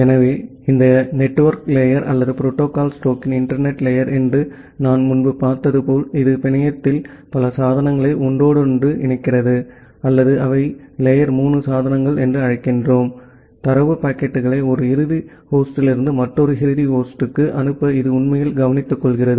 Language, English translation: Tamil, So, as I looked earlier that this network layer or the internet layer of the protocol stack, it interconnects multiple devices in the network or we call that they are kind of the layer 3 devices; which actually take care of to forwarding the data packets from one end host to another end host